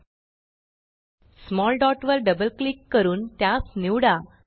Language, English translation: Marathi, Let us choose the small dot by double clicking on it